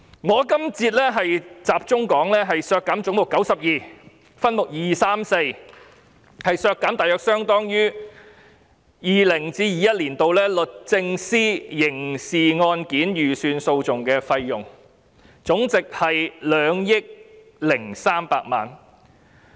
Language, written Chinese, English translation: Cantonese, 我這節集中討論的是為削減分目234而將總目92削減大約相當於 2020-2021 年度律政司刑事案件預算訴訟費用，合計2億300萬元。, In this session I will focus on speaking on the amendment that head 92 be reduced by 203 million in respect of subhead 234 an amount that equals the estimated court costs of criminal cases of the Department of Justice in 2020 - 2021